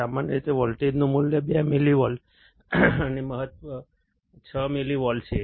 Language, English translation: Gujarati, Typically, value of voltage to be applied is 2 millivolts and maximum is 6 millivolts